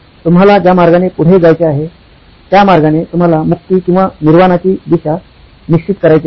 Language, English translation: Marathi, The way you want to do it the path forward which sets you to liberation or Nirvana